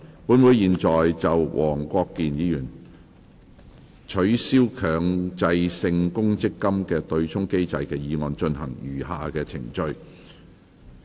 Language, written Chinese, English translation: Cantonese, 本會現在就黃國健議員"取消強制性公積金對沖機制"的議案進行餘下的程序。, This Council will now deal with the remaining proceedings of Mr WONG Kwok - kins motion on Abolishing the Mandatory Provident Fund offsetting mechanism